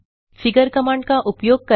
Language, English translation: Hindi, use the figure command